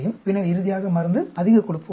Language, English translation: Tamil, Then, finally, drug, high fat diet